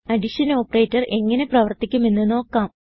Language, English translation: Malayalam, Now lets see how the addition operator works